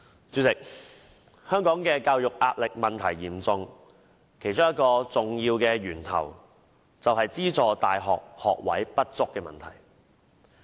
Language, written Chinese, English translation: Cantonese, 主席，香港的教育壓力問題嚴重，其中一個重要的源頭便是資助大學學位不足的問題。, Chairman having education in Hong Kong is under immense pressure . One of the major sources of pressure is insufficient subsidized university places